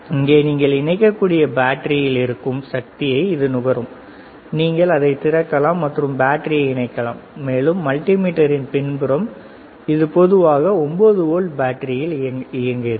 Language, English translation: Tamil, It will consume the power there is a battery here you can connect, you can open it and you can insert the battery, and the back side of the multimeter this operates on the generally 9 volt battery